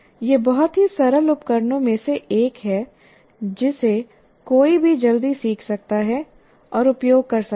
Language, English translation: Hindi, And it's one of the very simple tools that one can quickly learn and use